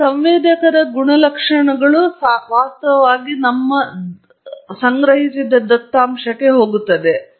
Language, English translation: Kannada, The characteristics of that sensor actually goes into the data